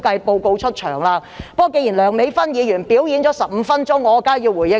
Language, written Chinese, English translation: Cantonese, 不過，既然梁美芬議員"表演"了15分鐘，我當然要回應一下。, But since Dr Priscilla LEUNG has just put on a show for 15 minutes I certainly have to give a reply